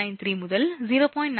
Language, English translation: Tamil, 93 to 0